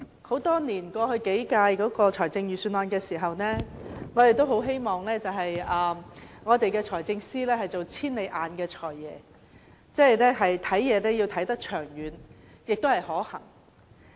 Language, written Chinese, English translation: Cantonese, 主席，過去數年，我們一直希望財政司司長在制訂財政預算案時，可做"千里眼"的"財爺"，要看得長遠和可行。, President in the past few years we hoped that the Financial Secretary would be a far - sighted Financial Secretary when he formulated the Budgets foreseeing future factors and practicability